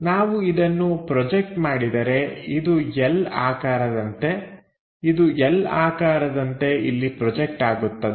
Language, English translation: Kannada, So, when we are projecting this one this L shaped one projected into L shape here